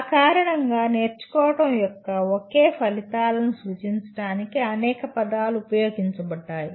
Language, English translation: Telugu, Because of that several words are used to represent the same outcomes of learning